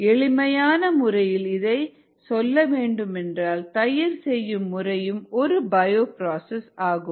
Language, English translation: Tamil, very simplistically speaking, curd making is also a bio process